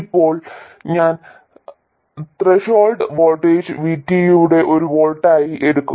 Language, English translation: Malayalam, I will also take the threshold voltage VT to be 1 volt